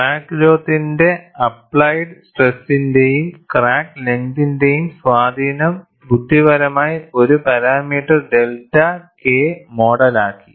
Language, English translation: Malayalam, The effect of applied stress and crack length on crack growth rate is intelligently modeled by a single parameter delta K